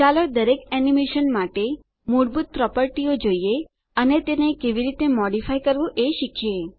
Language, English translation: Gujarati, Lets look at the default properties for each animation and learn how to modify them